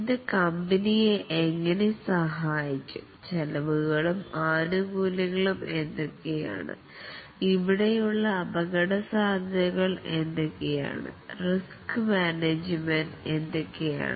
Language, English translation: Malayalam, How it will help the company and what are the costs and benefits and what will be the risks here and what are the plans of risk management